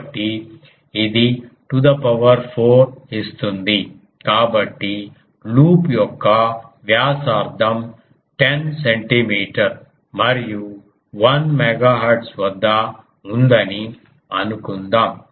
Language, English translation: Telugu, So this to the power 4 that makes it; so, let us do a ah ah take suppose the radius of the loop is 10 centimeter and at 1 megahertz